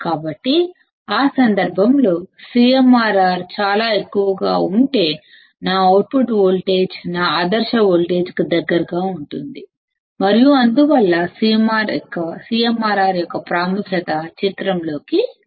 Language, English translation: Telugu, So, in that case if CMRR is extremely high, my output voltage would be close to my ideal voltage and thus the importance of CMRR comes into picture